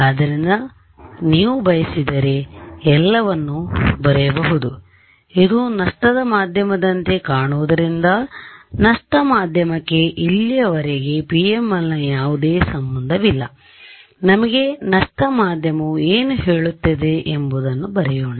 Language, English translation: Kannada, So, this is for let us just write it this is for PML ok, let us write down for lossy; lossy medium has no relation so, far with PML right let just write down what the lossy medium says for us